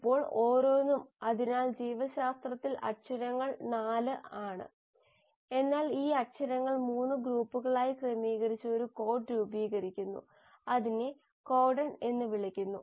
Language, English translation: Malayalam, Now each, so in biology the alphabets are 4, but these alphabets arrange in groups of 3 to form a code which is called as the “codon”